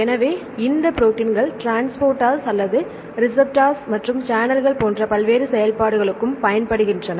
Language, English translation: Tamil, So, these proteins also go for various functions like the transporters or receptors and channels and so on